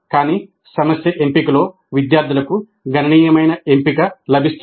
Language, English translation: Telugu, But students do get considerable choice in the selection of the problem